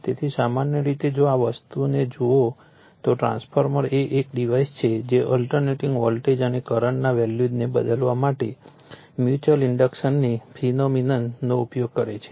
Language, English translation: Gujarati, So, generally if you look at the this thing a transformer is a device which uses the phenomenon of mutual induction to change the values of alternating voltages and current right